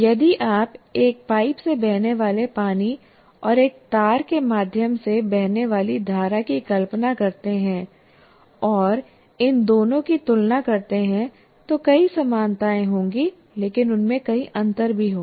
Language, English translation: Hindi, But if you put water flowing through a pipe and current flowing through a wire, if I compare these two, there will be many similarities, but there will also be many differences